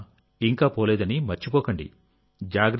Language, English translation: Telugu, … Don't forget that Corona has not gone yet